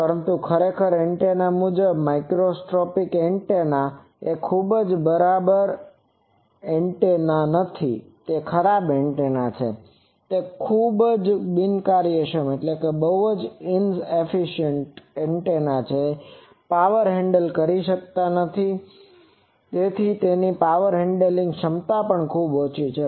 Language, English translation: Gujarati, But, actually antenna wise microstrip antenna is a very very bad antenna, it is a very inefficient antenna also it cannot handle power, it is power handling capability is very less